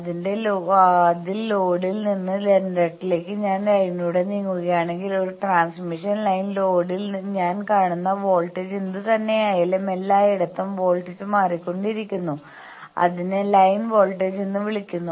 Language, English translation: Malayalam, You know that in a transmission line if I move along the line from the load towards generator then, the whatever the voltage I am seeing at load then everywhere the voltage is changing that is called line voltage